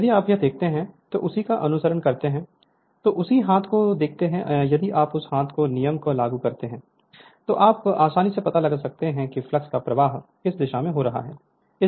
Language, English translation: Hindi, So, if you look into this and just your what you call that follow you apply the same your right hand see if you apply that your right hand rule right, then you can easily find out that the you are what you call the direction of the flux right